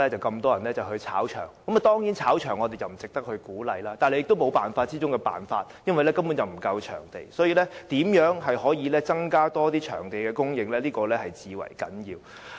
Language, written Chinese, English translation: Cantonese, 我們當然不鼓勵"炒場"，但這卻是沒有辦法之中的辦法，因為場地根本不足，所以，增加場地供應至為重要。, Surely we do not support touting activities but it appears to be the only option as the number of venues is really inadequate . And for this reason it is crucial for the Government to increase the number of venues